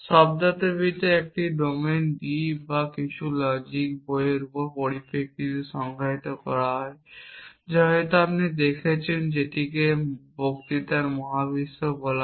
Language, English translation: Bengali, The semantics is defined in terms of a domine D or some logic book that you might has seen also called the universe of discourse